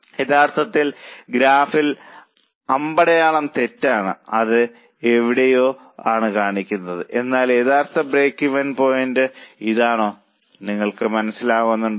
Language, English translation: Malayalam, Actually in the graph slightly that arrow is wrong it shows it somewhere here but actual break even point is this